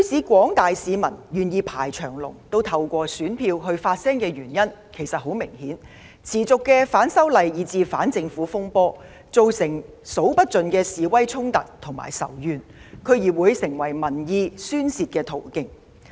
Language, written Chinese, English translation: Cantonese, 廣大市民不惜排長龍也要透過選票發聲，原因其實非常明顯：反修例以至反政府風波持續不斷，造成數之不盡的示威衝突與仇怨，區議會選舉成為民意的宣泄途徑。, Disturbances arising from opposition to the proposed legislative amendments to the Fugitive Offenders Ordinance FOO and to the Government have persisted and caused countless protests and conflicts as well as hatred and vengeance . The District Council DC Election has given a vent to public opinions